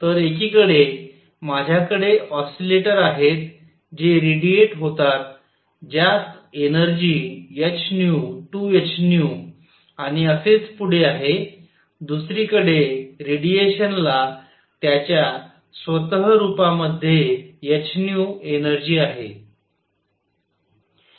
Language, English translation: Marathi, So, on one hand, I have oscillators that radiate that have energy h nu 2 h nu and so on the other radiation itself has energy h nu